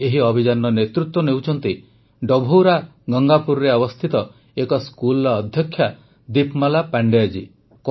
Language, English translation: Odia, This campaign is being led by the principal of a school in Dabhaura Gangapur, Deepmala Pandey ji